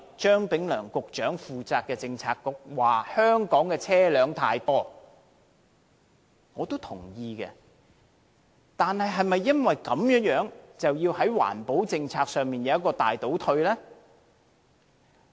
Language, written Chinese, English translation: Cantonese, 張炳良局長領導的政策局說香港的車輛太多，我也同意，但是否因此而要令環保政策大倒退？, According to the Policy Bureau led by Secretary Prof Anthony CHEUNG there are too many vehicles in Hong Kong . I agree but does it mean that the Government should retrogress in environmental protection?